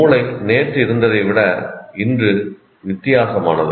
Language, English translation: Tamil, So the brain is today is different from what it was yesterday